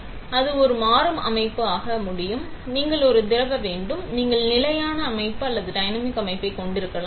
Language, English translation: Tamil, So, it can be, it can become a dynamic system, you have a liquid; you can either have a static system or a dynamic system